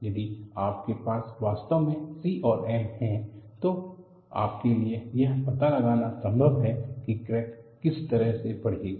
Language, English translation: Hindi, If you really have c and m, it is possible for you to find out what way the crack will grow